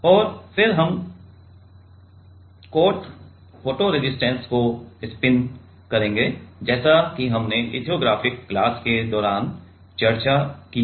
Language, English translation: Hindi, And then we will spin coat photo resist as we have discussed during the lithographic class